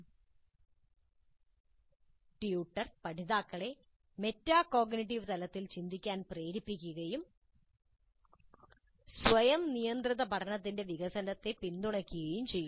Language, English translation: Malayalam, Promps learners to think at metacognitive level and supports the development of self regulated learning